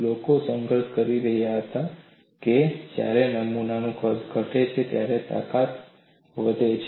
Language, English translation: Gujarati, People were struggling why, when the size of the specimen decreases, strength increases